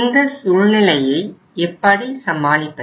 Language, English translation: Tamil, So how to deal with that situation